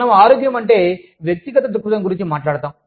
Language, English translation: Telugu, We were talking about, health, from the individual's perspective